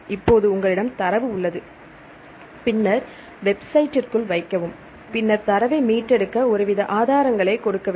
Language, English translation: Tamil, Now, you have the data then put into the website then you should give some sort of sources to retrieve the data